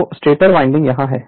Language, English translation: Hindi, So, stator windings are here